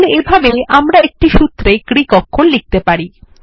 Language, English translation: Bengali, So this is how we can introduce Greek characters in a formula